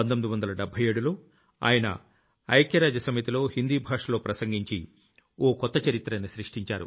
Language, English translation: Telugu, In 1977, he made history by addressing the United Nations in Hindi